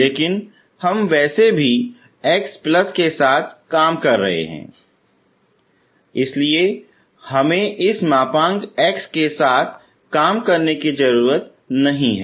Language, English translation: Hindi, But anyway we are working with x positive so we need not work with this mod x, okay